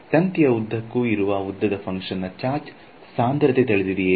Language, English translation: Kannada, As a function of the length along the wire do I know the charge density